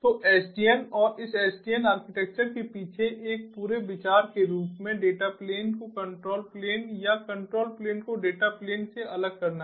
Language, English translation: Hindi, so the whole idea behind sdn and this sdn architecture as a whole is to separate the data plane from the control plane or other, the control plane from the data plane